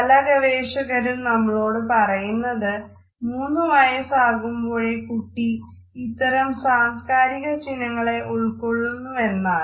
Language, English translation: Malayalam, Different researchers have told us that by the time a child is 3 years old, the child has imbibed these social codes